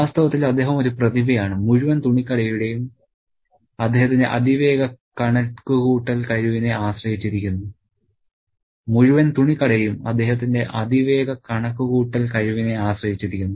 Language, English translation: Malayalam, In fact, he is a genius and the entire clothes shop is dependent on his extremely fast calculation skills